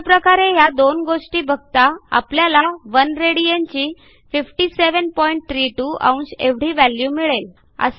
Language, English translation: Marathi, So we notice from these two that the value of 1 rad will be 57.32 degrees